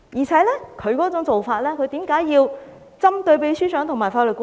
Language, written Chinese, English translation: Cantonese, 此外，他為何要針對秘書長和法律顧問？, Moreover why does he target against the Secretary General and the Legal Adviser?